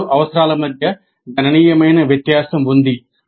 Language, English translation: Telugu, There is a significant difference between these two requirements